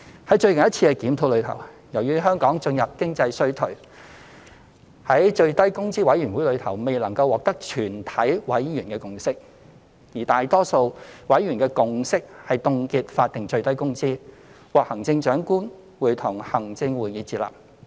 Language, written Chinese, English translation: Cantonese, 在最近一次的檢討中，由於香港進入經濟衰退，故在最低工資委員會內未能獲得全體委員的共識，而大多數委員的共識是凍結法定最低工資，並獲得行政長官會同行政會議接納。, In the latest review of the SMW rate as Hong Kong had entered an economic recession a consensus could not be reached by all members of the Minimum Wage Commission and according to the consensus of a majority of all its members the SMW rate should be frozen at the prevailing level . The recommendation has been adopted by the Chief Executive in Council